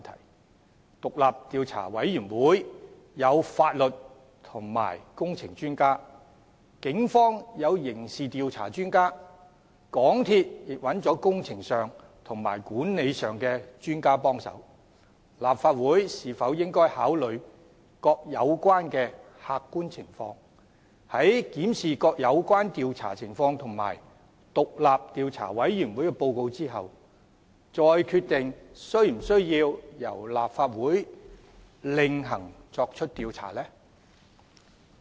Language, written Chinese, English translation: Cantonese, 然而，獨立調查委員會有法律及工程專家，警方有刑事調查專家，港鐵公司亦找了工程和管理專家協助，立法會是否應該考慮各有關的客觀情況，在檢視各有關調查情況及獨立調查委員會報告後，再決定是否需要由其另行作出調查？, Nevertheless the Commission of Inquiry will have the assistance of legal and engineering experts; the Police have the assistance of experts in criminal investigation; and MTRCL has obtained the assistance of engineering and management experts . Should the Legislative Council consider all the objective circumstances and decide whether it should conduct a separate inquiry after reviewing the relevant inquiries and the report of the Commission of Inquiry?